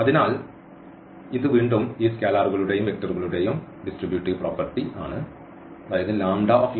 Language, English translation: Malayalam, So, this is again this distributivity property of these scalars and vectors